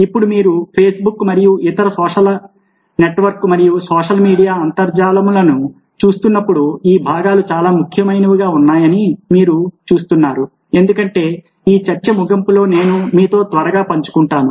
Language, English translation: Telugu, now you see that when you are looking at facebook and other social network and social media sites, the very great extend these components come in as significant, as i will quickly share with you towards the end of this talk